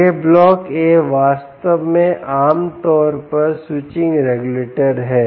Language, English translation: Hindi, right, this block a, indeed, is typically is switching regulator